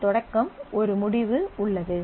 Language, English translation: Tamil, There is a begin end in the scope